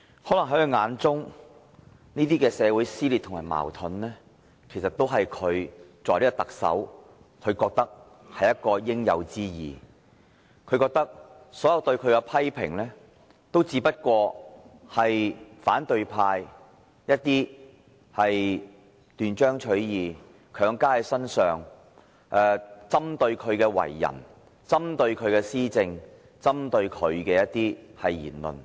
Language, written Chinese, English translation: Cantonese, 可能在他的眼中，這些社會撕裂和矛盾均是他作為特首的應有之義，所有對他的批評只不過是反對派斷章取義，強加在他身上，針對他的為人，針對他的施政，針對他的言論。, Perhaps he considers it the duty of the Chief Executive to bring forth these dissension and conflicts to society and that all the criticisms against him are imposed on him by the opposition camp out of context directing at his personality his governance and remarks . Come to think about this . Things must have gone rotten before worms are bred